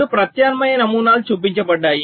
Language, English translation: Telugu, so two alternate designs are shown